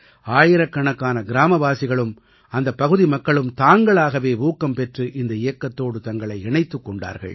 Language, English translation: Tamil, Thousands of villagers and local people spontaneously volunteered to join this campaign